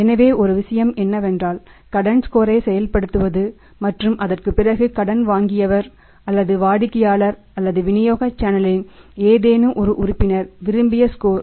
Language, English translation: Tamil, So, one thing is that we learned about is that working out the credit score and after that if the if the borrower or maybe the customer or maybe any member of the channel of distribution channels of distribution if the cross the desired score 4